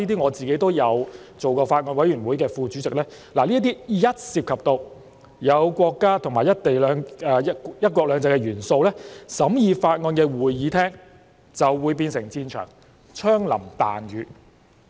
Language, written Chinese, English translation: Cantonese, 我也曾是某法案委員會的副主席，深知一旦涉及國家和"一國兩制"的元素，審議法案的會議廳便會變成戰場，槍林彈雨。, I was also the Deputy Chairman of a bills committee and I know very well that once the elements of the country and one country two systems were involved the venue for deliberation of the bill would be turned into a battlefield while the discussion would have to be conducted under a storm of shots and shells